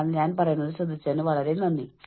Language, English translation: Malayalam, So, thank you very much, for listening to me